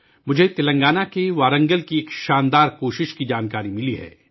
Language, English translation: Urdu, I have come to know of a brilliant effort from Warangal in Telangana